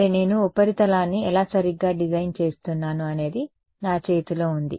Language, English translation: Telugu, Well, it is in my hand how I design the surface right